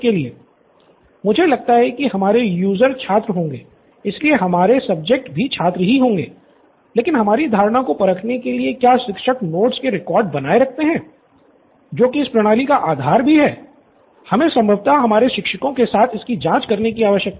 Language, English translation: Hindi, I think our users would be students, so our subjects would also be students but in order to test our assumption as to whether teachers maintain record of the notes that would form the base of this system that is something that we need to probably check with our teachers as well